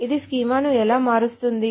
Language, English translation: Telugu, So how does it change the schema